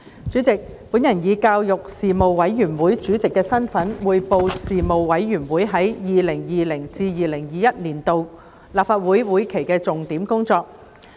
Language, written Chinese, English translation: Cantonese, 主席，我以教育事務委員會主席的身份，匯報事務委員會在 2020-2021 年度立法會會期的重點工作。, President in my capacity as Chairman of the Panel on Education the Panel I now report several major items of work of the Panel for the 2020 - 2021 session